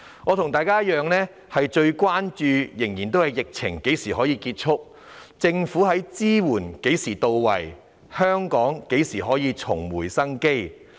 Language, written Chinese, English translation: Cantonese, 我與大家同樣關注疫情何時才能結束、政府的支援何時才會到位、香港何時才可重拾生機。, Colleagues and I are equally concerned about when the epidemic will end when government support will be in place and when Hong Kong can regain vitality